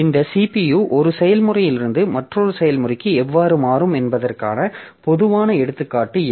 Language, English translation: Tamil, So, this is a typical example how this CPU will switch from one process to another process